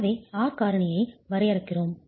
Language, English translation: Tamil, So, we define the R factor